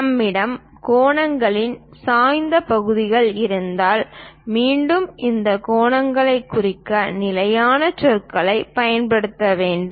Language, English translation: Tamil, If we have angles inclined portions, again one has to use a standard terminology to denote this angles